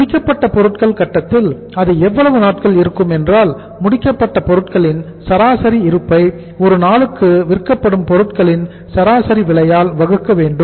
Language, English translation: Tamil, Finished goods staying at the finished goods stage that is average stock of finished goods divided by average stock of finished goods divided by average cost of average cost of goods sold, average cost of goods sold per day, average cost of goods sold per day